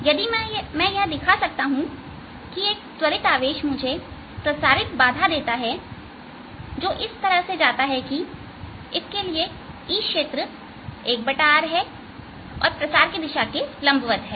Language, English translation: Hindi, if i can show that an accelerating charge, give me a propagating disturbance which goes as for which the e field is, one over r is perpendicular direction of propagation i have shown in the radiation